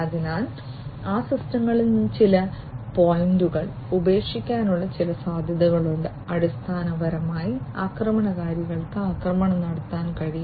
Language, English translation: Malayalam, So, there are some potential possibilities of leaving some points in those systems which through which basically the attackers can launch the attacks